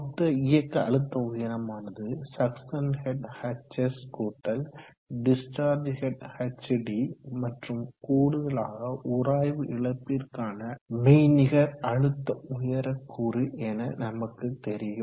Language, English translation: Tamil, We know that the total dynamic head H is given by the suction head hs, plus the discharge head hd, plus another component or virtual component of the head which is due to friction loss